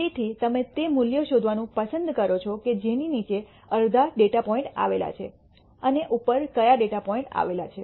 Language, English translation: Gujarati, So, you like to find out that value below which half the data points lie and above which half the data points lie